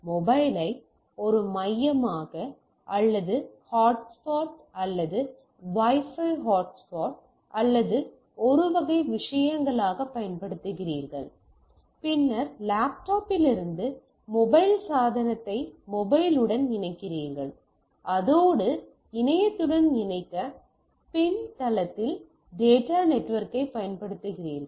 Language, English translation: Tamil, You are using the mobile as a hub right or hotspot or Wi Fi hotspots or a type of things, then you connect to the mobile your device mobile device from your laptop and that in turns use the backend data network to connect to the internet right